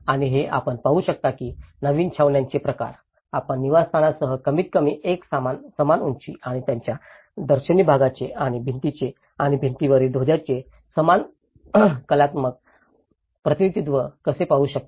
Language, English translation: Marathi, And this is how what you can see is the kind of the new camps, how you can see a more or less a kind of uniform heights with the dwellings and a similar artistic representations of their facades and the compound walls and the flags over the top of the terraces